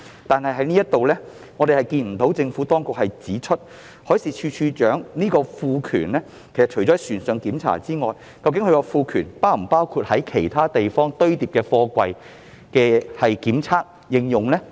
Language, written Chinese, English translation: Cantonese, 就這一點，政府當局只是指出海事處處長獲賦權作船上檢查，卻未有指明是否還包括其他地方堆放貨櫃的檢測和應用。, With respect to this point the Administration has only pointed out that DM is empowered to conduct inspections on board vessels without specifying whether stacked up containers in other places will also be inspected and covered